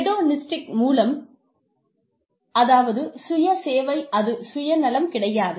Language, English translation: Tamil, By hedonistic, I mean, self servicing, not self centered